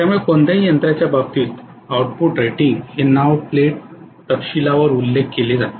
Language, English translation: Marathi, So as far as any machine is concerned the output rating is the one which is actually mentioned on the name plate detail